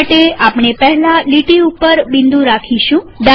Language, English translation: Gujarati, For this, we will first put a dot on the line